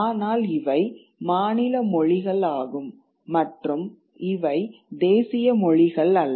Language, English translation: Tamil, But these were state languages and not national languages